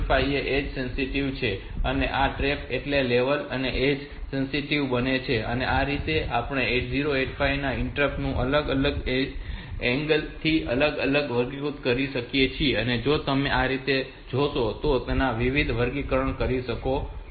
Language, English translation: Gujarati, 5 is 8 sensitive and this trap so this is both the level and edge sensitive, this way we can have different classification of the interrupts of 8085 from different angles if you view so you can come up with different classifications